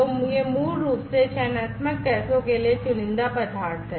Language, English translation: Hindi, So, these are basically selective materials for selective gases